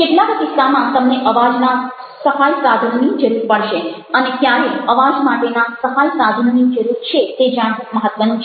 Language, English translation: Gujarati, in some cases you will need voice aid and it's important to know, ah, where a voice is